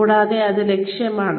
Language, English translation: Malayalam, And, it is available